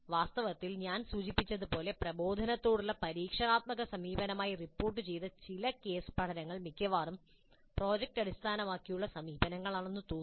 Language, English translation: Malayalam, In fact as I mentioned some of the case studies reported as experiential approach to instruction almost look like project based approaches